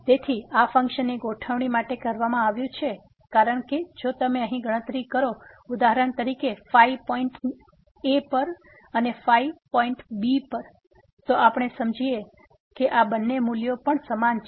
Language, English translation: Gujarati, So, for the setting of this function is done because if you compute here for example, the at the point and at the point then we will realize that these two values are also equal